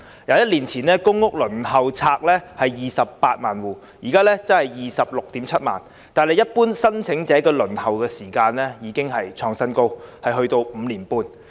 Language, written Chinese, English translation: Cantonese, 一年前，公共租住房屋輪候冊上有 280,000 戶，現時則是 267,000 戶，但一般申請者的輪候時間卻創了新高，需時5年半。, On the waiting list for public rental housing PRH there were 280 000 households one year ago; now there are 267 000 . However the waiting time for general applicants hits the new high of 5.5 years